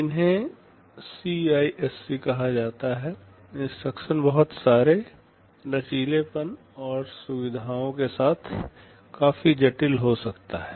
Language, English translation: Hindi, These are called CISC, the instruction can be fairly complex with lot of flexibilities and features